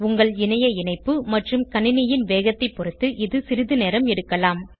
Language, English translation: Tamil, This may take some time depending on your internet and system speed